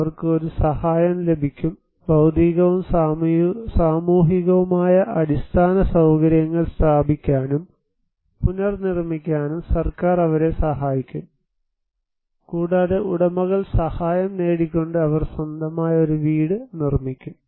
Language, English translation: Malayalam, So, they will get an assistance and government will help them to install, rebuild physical and social infrastructure, and the owners they will construct their own house by getting assistance